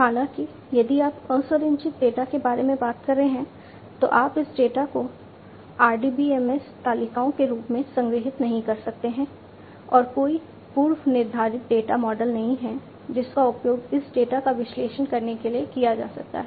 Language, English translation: Hindi, However, if you are talking about unstructured data you cannot store this data in the form of RDBMS tables and there is no predefined data model that could be used to analyze this data